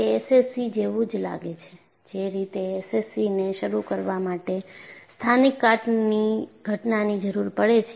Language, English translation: Gujarati, And very similar to SCC, in much the same way that a localized corrosion event is needed to initiate SCC